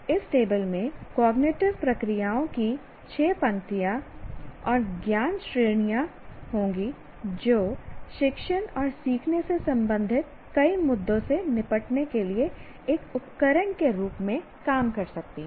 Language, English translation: Hindi, This table will have six rows of cognitive processes and four categories of knowledge which can serve as a tool to deal with many issues related to teaching and learning